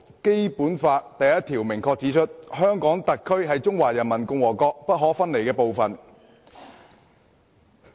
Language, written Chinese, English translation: Cantonese, 《基本法》第一條明確指出，"香港特別行政區是中華人民共和國不可分離的部分。, Article 1 of the Basic Law clearly provides that The Hong Kong Special Administrative Region is an inalienable part of the Peoples Republic of China